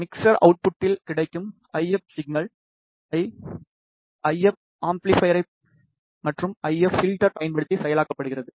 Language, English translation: Tamil, The, IF signal which is available at the mixer output is processed using an I F amplifier and an IF filter